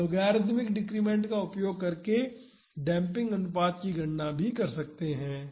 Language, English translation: Hindi, We can calculate the damping ratio using logarithmic decrement